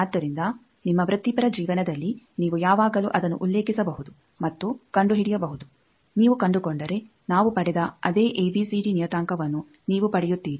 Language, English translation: Kannada, So, you can always refer to that in your professional life and find out then if you find you get back the same ABCD parameter that we got